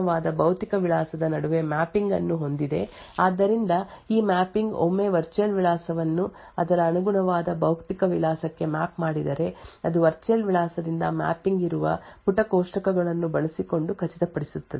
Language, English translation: Kannada, The TLB stands for the translation look aside buffer has a mapping between the virtual address and the corresponding physical address so this mapping will ensure that once a virtual address is mapped to its corresponding physical address using the page tables that are present that mapping from virtual address to physical address is stored in the TLB